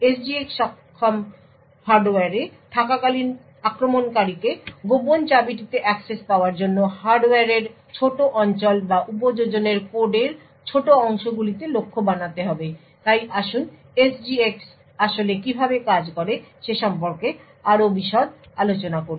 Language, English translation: Bengali, While in the SGX enabled hardware the attacker would have to target small regions in the hardware or small portions of code in the application in order to achieve in order to gain access to the secret key so let us look into more details about how SGX actually works